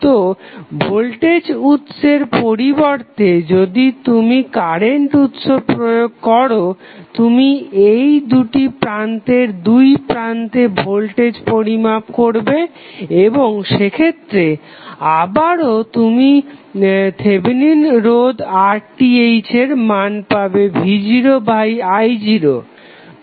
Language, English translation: Bengali, So, instead of voltage source if you apply current source you will measure the voltage across these two terminals and when you measure you will get again the value of R Th as v naught upon i naught